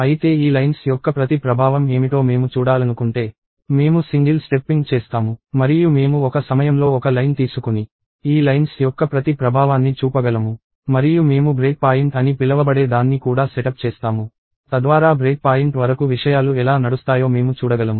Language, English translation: Telugu, So, I will do single stepping and I can take one line at a time and show the effect of each of these lines; and I will also set up something called a break point, so that I can see how things should run up to the break point